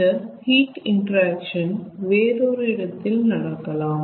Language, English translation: Tamil, this heat interaction can take place at different point